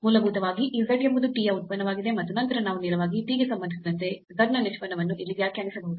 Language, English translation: Kannada, So, basically this z is a function of t and then we can define here the derivative of z with respect to t directly